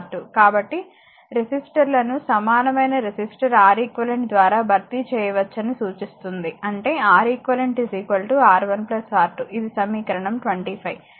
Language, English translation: Telugu, So, implying that the resistors can be replaced by an equivalent resistor Req so, that is Req is equal to your R 1 plus R 2, this is equation 25